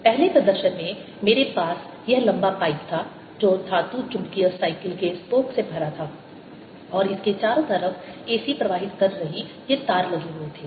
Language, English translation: Hindi, in the first demonstrations i had this long pipe which was filed with metallic magnetic bicycle spokes and all around it were these wires carrying a c and this was connected to the mains